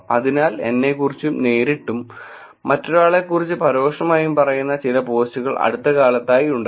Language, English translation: Malayalam, So, there are recent posts also which is directly about myself and indirectly about somebody else